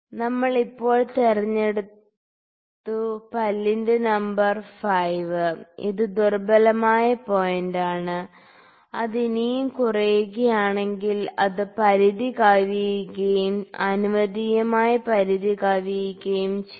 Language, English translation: Malayalam, We have picked now teeth number tooth number 5 is the weak point and if it further decreases, it can exceed the limit exceed the acceptable limit this value